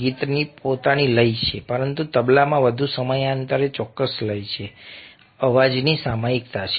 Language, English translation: Gujarati, the song has it's own rhythm but the tabla has a more periodic, definite rhythm, periodicity of sounds